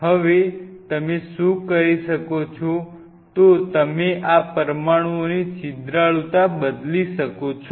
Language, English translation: Gujarati, Now what you can do is you can change the porosity of these molecules